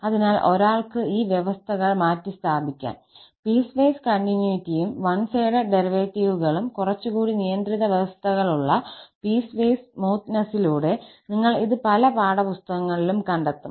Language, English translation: Malayalam, So, one may replace these conditions, the piecewise continuity and one sided derivatives by slightly more restrictive conditions of piecewise smoothness and you will find this in many textbooks